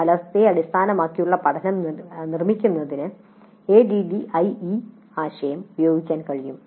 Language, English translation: Malayalam, The ADE concept can be applied for constructing outcome based learning